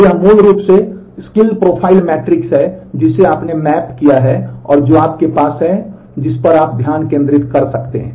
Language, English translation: Hindi, So, this is the basically skill profile matrix that you have mapping that you have that you can focus on